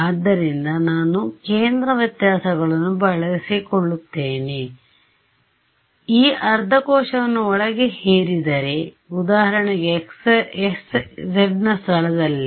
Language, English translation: Kannada, So, then I impose it use centre differences, but impose this half a cell inside the boundary if I impose this so, at for example, at the location of x z